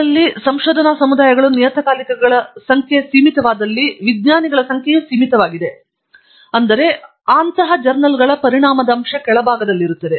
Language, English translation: Kannada, And, in communities research communities where the number of journals are limited, the number of scientists are limited, then the journal impact factor tends to be on the lower side